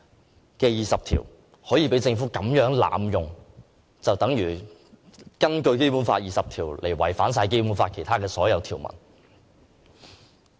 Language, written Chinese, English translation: Cantonese, 政府如此濫用《基本法》第二十條，便等同根據《基本法》第二十條違反《基本法》其他所有條文。, The Governments abusive use of Article 20 of the Basic Law in this manner is tantamount to invoking this Article to contravene all other articles of the Basic Law